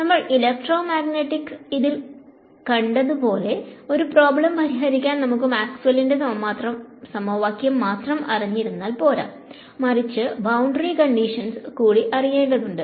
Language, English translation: Malayalam, So, all of you know that in the electromagnetics problem to solve it fully; I need to not just know the equations of Maxwell, but also what are the conditions on the boundary ok